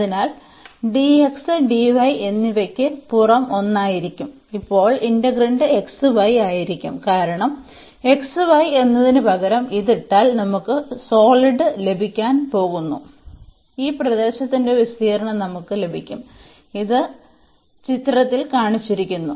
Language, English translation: Malayalam, So, for dx and the dy will be the outer one the integrand now will be xy because we are going to get the solid if we put this instead of xy 1 again we will get the area of this region, which is shown in the figure